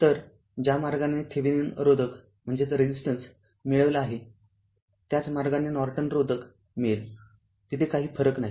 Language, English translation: Marathi, So, ah the way we have obtain Thevenin resistance same way Norton so there is no change there